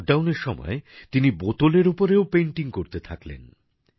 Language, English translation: Bengali, During the lockdown, she started painting on bottles too